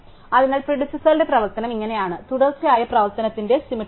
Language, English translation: Malayalam, So, this is how the predecessor works it is exactly symmetric to the successor function